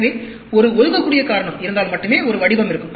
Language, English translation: Tamil, So, only if there is an assignable cause there will be a pattern